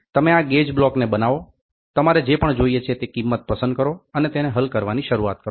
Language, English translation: Gujarati, You make this gauge blocks pick up the values whatever you want and then you start solving it